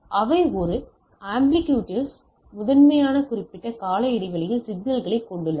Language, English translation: Tamil, They have a amplitude primarily periodic signal they have a amplitude